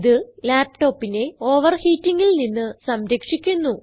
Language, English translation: Malayalam, This helps to keep the laptop from overheating